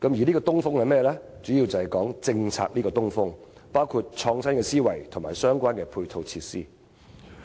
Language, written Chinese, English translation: Cantonese, 這個"東風"主要是指政策，包括創新思維和相關配套設施。, Basically this crucial thing is the introduction of policies including those on innovation and related ancillary facilities